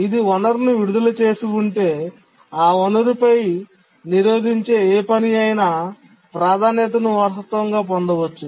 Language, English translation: Telugu, If it is released a resource, then any task that was blocking on that resource, it might have inherited the priority